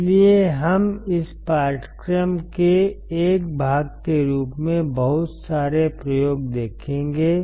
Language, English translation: Hindi, So, we will also see lot of experiments as a part of this course